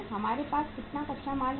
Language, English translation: Hindi, How much raw material we will have